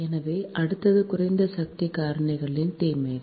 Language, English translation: Tamil, so next is disadvantages of low power factor